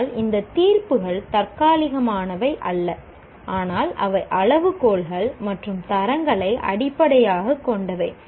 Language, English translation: Tamil, But these judgments are not ad hoc, but they are based on criteria and standards